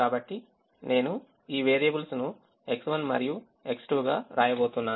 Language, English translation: Telugu, so i am going to write these variables as x one and x two